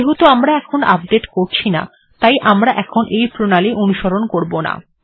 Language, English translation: Bengali, Because we are not going to do the updating now, we will not follow this